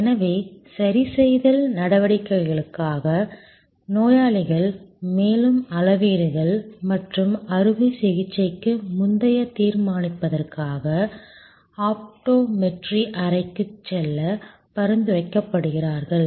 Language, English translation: Tamil, So, patients for corrective actions are suggested to go to the optometry room for further measurements and pre operation determinants